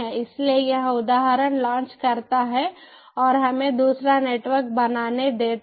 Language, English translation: Hindi, so this launches instance and lets create another network